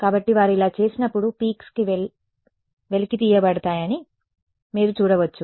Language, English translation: Telugu, So, you can see that when they do this the peaks are extracted out